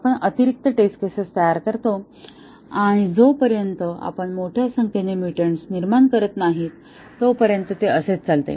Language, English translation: Marathi, We create additional test cases and that is the way it goes on until we have generated a large number of mutants